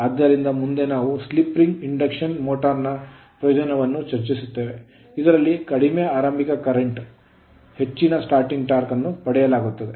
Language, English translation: Kannada, So, next is this indeed is the advantage of the slip ring induction motor, in which high starting torque is obtained at low starting current